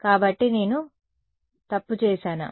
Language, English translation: Telugu, So, did I make a mistake